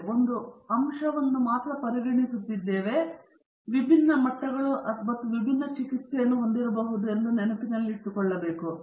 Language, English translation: Kannada, So, what we have to do is remember that we are considering only one factor and they may be having different levels or different treatments